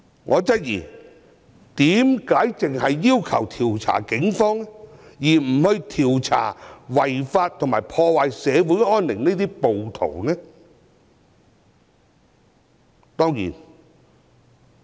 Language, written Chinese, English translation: Cantonese, 我質疑他們為何只要求調查警方，不調查違法及破壞社會安寧的暴徒？, I doubt why Members only demand to inquire into the Police but not the rioters who have broken the law and breached the peace of society